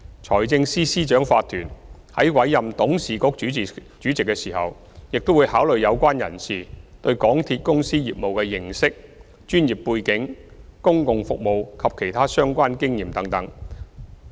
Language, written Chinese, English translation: Cantonese, 財政司司長法團在委任董事局主席時，會考慮有關人士對港鐵公司業務的認識、專業背景、公共服務及其他相關經驗等。, To appoint the Chairman of the Board of MTRCL the Financial Secretary Incorporated will consider the candidates understanding of MTRCLs business professional background public services and other relevant experience etc